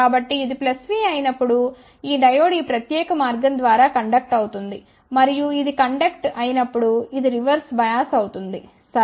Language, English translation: Telugu, So, when this is plus v this diode will conduct through this particular path and when this conducts this will be reversed bias ok